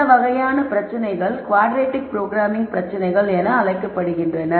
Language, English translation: Tamil, Those types of problems are called quadratic programming problems